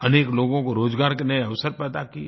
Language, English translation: Hindi, New employment opportunities were created for a number of people